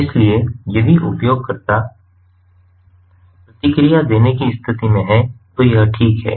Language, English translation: Hindi, so if the user is in a condition to respond, then it is fine